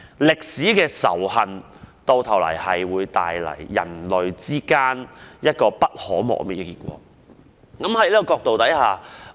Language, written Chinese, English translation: Cantonese, 歷史的仇恨，最終會為人類帶來不可磨滅的結果。, Historic hatred will eventually bring to the human race indelible consequences